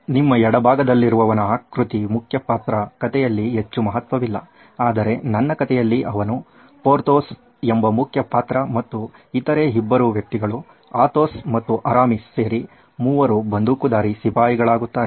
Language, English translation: Kannada, The one on your left is my main character well not in the story but in my story he is the main character called Porthos, the other 2 guys are Athos and Aramis totally they make the Three Musketeers